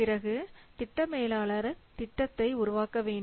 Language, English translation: Tamil, Then the project manager has to develop the plan